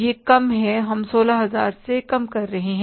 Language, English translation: Hindi, We are doing less minus 16,000